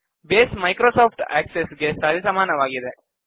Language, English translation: Kannada, Base is the equivalent of Microsoft Access